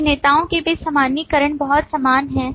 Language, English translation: Hindi, Generalization among actors are very similar